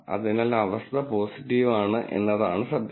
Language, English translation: Malayalam, So, the actual condition is positive